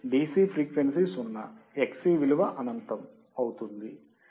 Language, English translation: Telugu, DC frequency is zero, Xc would be infinite right